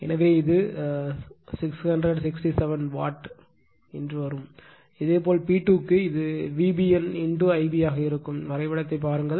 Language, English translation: Tamil, So, it is becoming 667 Watt; similarly for P 2 it will be V B N , into I b just look at the diagram